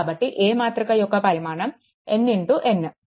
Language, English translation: Telugu, So, a a matrix is n into n matrix, right